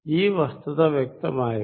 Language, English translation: Malayalam, Is the point clear